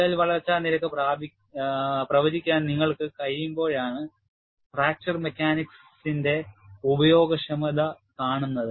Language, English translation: Malayalam, The usefulness of fracture mechanics is seen, only when you are able to predict crack growth rate